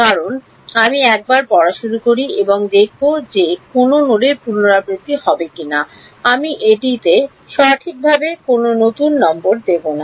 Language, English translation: Bengali, Because once I start reading and I will see if there is any node will be repeated, I will not give a new number to it right